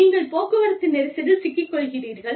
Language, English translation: Tamil, You get stuck in a traffic jam